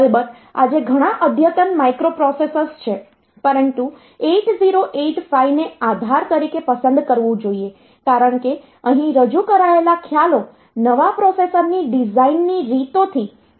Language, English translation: Gujarati, Of course, there are many advanced microprocessors today, but 8085 should be chosen as the base because this in the concepts they introduced there have gone a long way in manipulating the ways in which the new processors are design